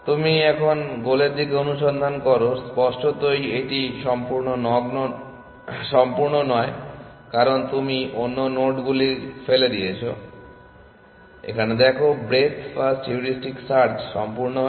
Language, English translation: Bengali, Then, you search towards the goal now; obviously, it is not complete because you are throwing away other nodes, see breadth first heuristic search is complete